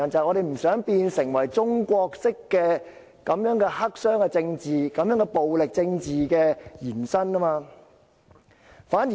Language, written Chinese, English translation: Cantonese, 我們不想中國式的黑箱政治、暴力政治延伸到香港。, We do not want Chinas black - box politics and violent politics to extend to Hong Kong